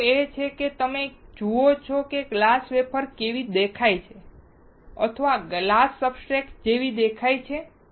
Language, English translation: Gujarati, The point is you see how the glass wafer looks like or glass substrate looks like